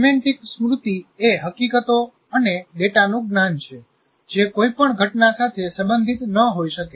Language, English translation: Gujarati, Whereas semantic memory is knowledge of facts and data that may not be related to any event